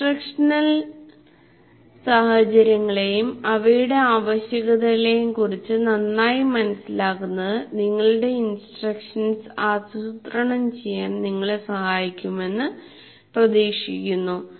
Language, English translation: Malayalam, So, hopefully a better understanding of instructional situations and their requirements will help you to plan your instruction